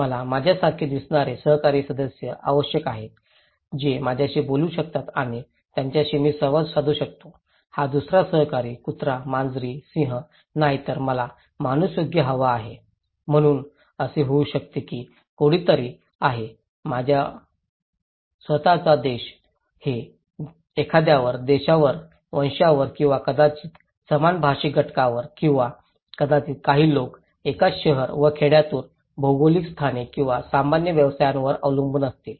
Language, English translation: Marathi, I need fellow members who look like me, who can talk to me and with whom I can interact with so, this other fellow, not only dogs, cats, lions but I want the human being right, so it could be that someone is from my own country, it depends on someone's nations, race or maybe same linguistic group or maybe some coming from the same town and village, geographical locations or same occupations